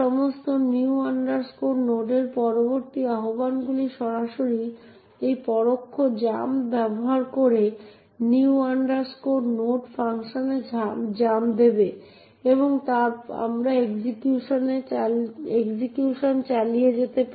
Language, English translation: Bengali, All, subsequent invocations of new node would directly jump to the new node function using this indirect jump and we can continue the execution